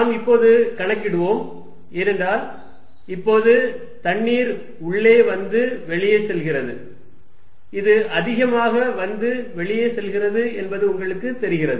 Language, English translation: Tamil, Let us calculate, because now water coming in and water going out it looks like, you know this is more coming in and going out